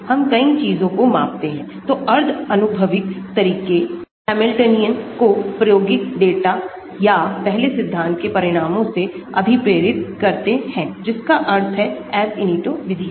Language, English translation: Hindi, we parameterize many things, so semi empirical methods parameterize the Hamiltonian by fitting it to the experimental data or the results of the first principle that means Ab initio methods